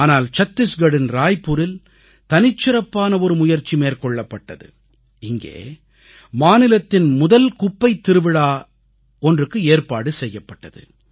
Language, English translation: Tamil, But in a unique endeavor in Raipur, Chhattisgarh, the state's first 'Trash Mahotsav' was organized